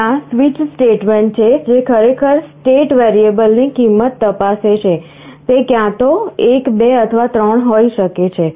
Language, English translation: Gujarati, There is a switch statement, which actually checks the value of variable “state”, it can be either 1, 2, or 3